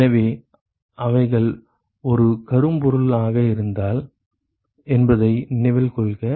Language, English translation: Tamil, So, note that if they were to be a black body